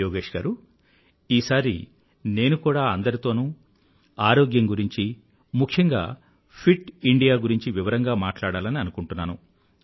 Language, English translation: Telugu, Yogesh ji, I feel I should speak in detail to all of you on 'Fit India'